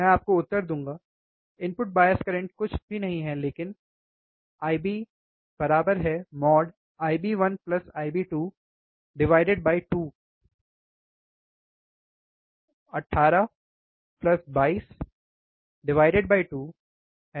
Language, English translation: Hindi, I will give you the answer, the input bias current is nothing but I bIb equals to mode of I bIb 1 plus I bIb2 2 divided by 2